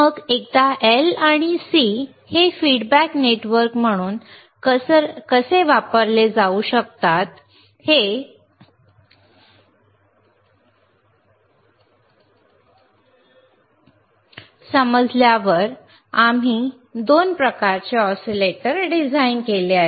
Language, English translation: Marathi, Then once we understood how the L and C couldan be used as a feedback network, we have designed 2 types of oscillators,